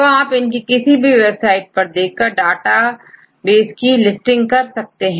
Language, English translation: Hindi, So, if you look at to this any of websites and then listing of databases